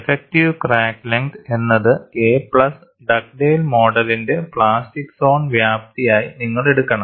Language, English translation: Malayalam, You have to take the effective crack length as a plus the extent of plastic zone in Dugdale’s model